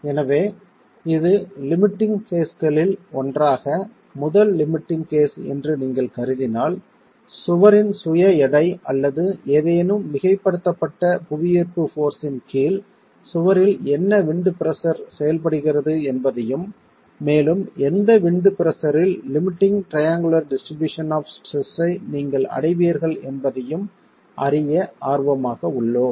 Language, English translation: Tamil, So, this if you consider this as the as one of the limiting cases, one of the first limiting cases, we are interested in knowing what wind pressure acting on the wall under the condition of the wall being loaded in gravity by itself weight or any superimposed load at what wind pressure would you reach this limiting triangular distribution of stresses